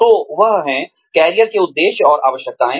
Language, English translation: Hindi, So, that is, career motives and needs